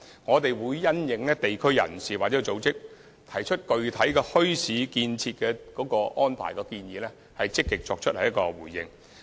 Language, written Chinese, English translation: Cantonese, 我們會因應地區人士或組織就安排設立墟市提出的具體建議，積極作出回應。, We will actively respond to specific recommendations put forward by individuals or groups from local communities on arrangements for setting up bazaars